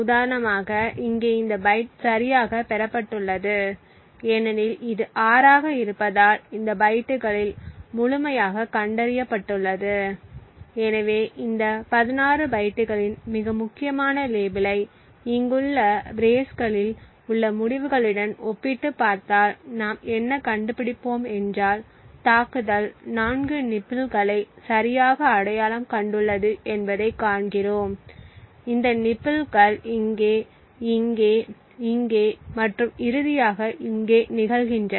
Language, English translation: Tamil, So for example here this bike has been correctly obtained because this is 6 so on this bytes has been found completely, so what we find if we compare the most significant label of these 16 bytes and compared them with the results within the braces over here, we find that the attack has identified 4 nibbles correctly that these nibbles occur here, here, here and finally here